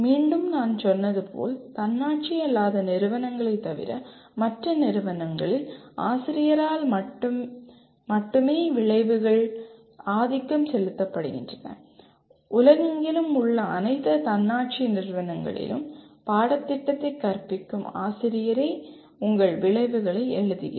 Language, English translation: Tamil, Once again as I said it is only the outcomes are dominantly written by the teacher except in non autonomous institutions, in all autonomous institutions around the world it is the teacher who teaches the course, writes the outcomes